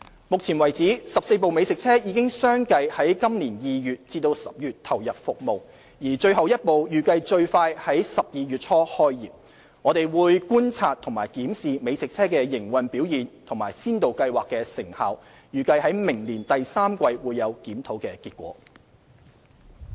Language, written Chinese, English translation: Cantonese, 目前為止 ，14 部美食車已相繼在今年2月至10月投入服務，而最後一部預計最快在12月初開業，我們會觀察和檢視美食車的營運表現和先導計劃的成效，預計在明年第三季會有檢討的結果。, Currently 14 food trucks have rolled out successively from February to October this year . It is expected that the last food truck will commence business in early December . We will observe and review the operation performance of food trucks and the result of the Pilot Scheme